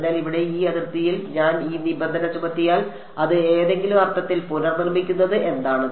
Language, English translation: Malayalam, So, at this boundary over here if I impose this condition what does it recreating in some sense